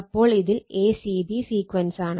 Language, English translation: Malayalam, So, in this is a c and a c b sequence right